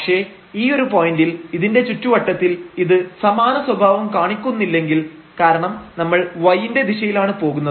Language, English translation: Malayalam, But at this point if we see that in the neighborhood it is not showing the same behavior because if we go in the direction of y